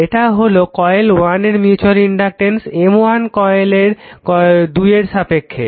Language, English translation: Bengali, This is mutual inductance M one of coil 1 with respect to coil 2 right